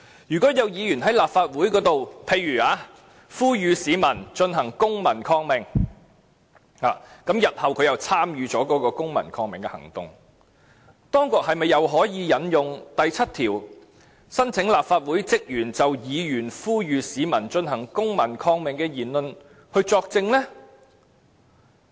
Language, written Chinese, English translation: Cantonese, 如果有議員在立法會上，例如呼籲市民進行公民抗命，而他日後又參與了該次公民抗命行動，當局是否可以再次引用第7條，申請立法會職員就議員呼籲市民進行公民抗命的言論作證呢？, If a Member at this Council say calls on the public to stage a civil disobedience movement who does participate in that movement one day then can the Government invoke once again section 7 to apply for special leave for staff of the Legislative Council to give evidence in respect of the Members speeches made to appeal to the public for staging the civil disobedience movement?